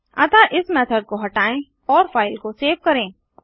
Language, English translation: Hindi, So remove this method and Save the file